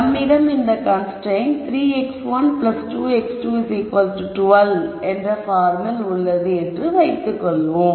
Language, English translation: Tamil, So, let us assume that we have a constraint of this form which is 3 x 1 plus 2 x 2 equals 12